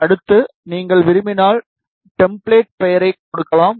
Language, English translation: Tamil, Then next, then you can give the template name, if you want